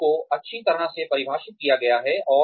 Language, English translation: Hindi, The goals are well defined